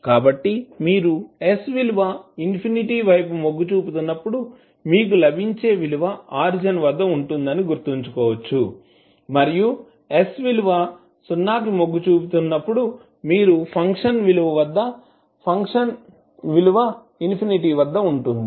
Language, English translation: Telugu, So you can simply remember it by understanding that when s tending to infinity means the value which you will get will be at origin and when s tends s to 0 the value which you will get for the function is at infinity